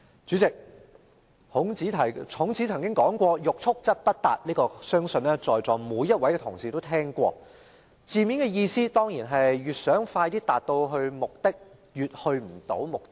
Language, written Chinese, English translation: Cantonese, 主席，孔子曾曰："欲速則不達"，相信在座每一位同事也聽過，字面的意思是越想快些達到目的便越達不到目的。, President Confucius once said Desire to have things done quickly prevents their being done thoroughly . I believe every Honourable colleague here has heard this before . The literal meaning is that the more eager one is to achieve ones aim the less able one is to achieve it